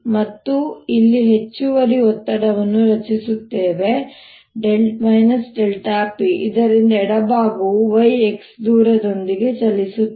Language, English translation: Kannada, this is some pressure p, and we create a, an extra pressure here, delta p, so that the left inside moves by distance, y x